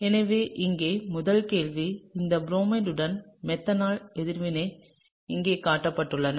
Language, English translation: Tamil, So, the first question here is a reaction of this bromide as shown here with methanol, okay